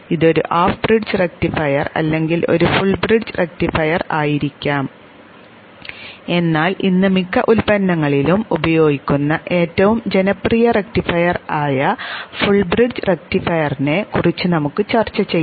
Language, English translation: Malayalam, It may be a half bridge rectifier or a full bridge rectifier but we shall discuss the most popular rectifier which is used in most of the products today which is the full bridge rectifier